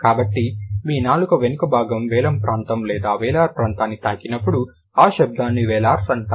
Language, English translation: Telugu, So, when your back of the tongue is kind of, is touching the wheelum area or the wheeler area, the sound is known as wheelers